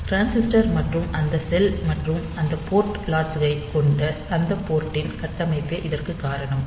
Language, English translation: Tamil, So, this is because of that structure of that port consisting of the transistor and that cell of that and that port latch